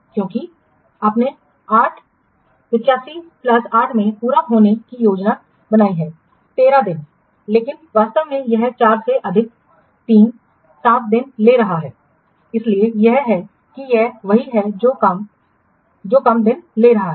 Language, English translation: Hindi, 86 and why because this you was planned to be over completed on 8 5 plus 8 13 days but actually it is taking 4 plus 7 days so that's why it is what it is taking less stage and since you are how we are computing that CPI is equal 1